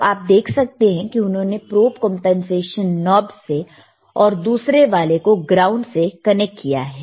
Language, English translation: Hindi, yYou can see he has connected to the probe compensation knob then other one to the ground